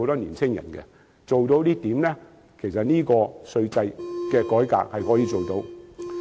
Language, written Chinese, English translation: Cantonese, 如果交通做得到，其實稅制改革也可以配合。, If transport arrangements are possible then the taxation regime can actually be reformed as a kind of support